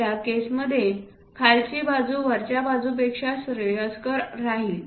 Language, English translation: Marathi, In that case what we will do is lower side is preferable upper side is not preferable